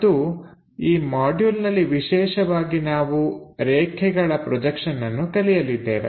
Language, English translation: Kannada, And in this module we will especially cover about line projections